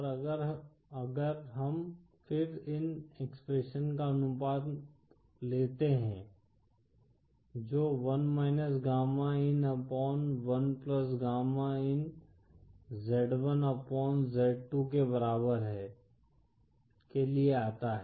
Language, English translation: Hindi, And if we then take the ratio of these expressions that comes out to 1 gamma in upon 1+gamma in equal to z1 upon z2 upon…